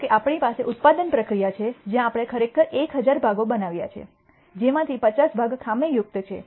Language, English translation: Gujarati, Suppose we have a manufacturing process where we actually have manufac tured 1,000 parts out of which 50 parts are defective